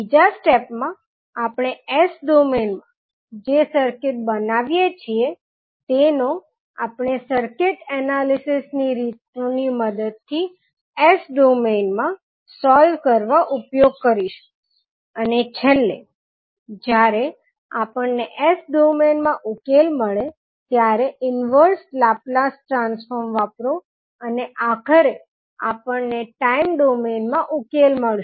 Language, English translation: Gujarati, So, the second step will be that whatever the circuit we have formed in s domain we will utilize the circuit analysis technique to solve the circuit in s domain and finally, when we get the answer in s domain we will use inverse Laplace transform for the solution and finally we will obtain the solution in in time domain